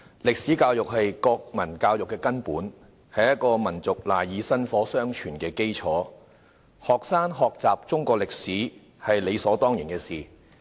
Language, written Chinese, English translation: Cantonese, 歷史教育是國民教育的根本，是一個民族賴以薪火相傳的基礎；學生學習中國歷史是理所當然的事。, History education is fundamental to national education laying the foundation for a nation to pass on the torch . It is right and proper for students to study Chinese history